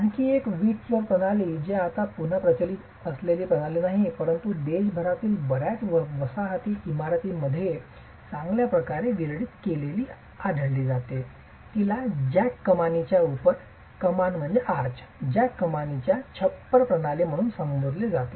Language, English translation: Marathi, Another brick flow system that is, again, not a system that is prevalent today, but can be found very well distributed in many colonial buildings across the country is referred to as a jack arch roof system